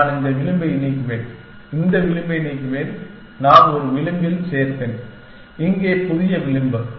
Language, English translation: Tamil, And I will delete this edge and I will delete this edge and I will add in a edge, here new edge